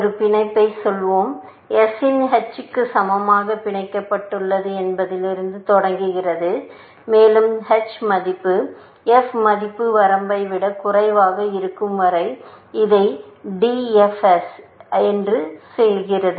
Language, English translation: Tamil, Let us say a bound, its starts with saying, bound equal to h of s, and it does DFS, as long as h value is, f value is less than the bound